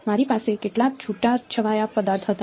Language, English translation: Gujarati, I had some scattering object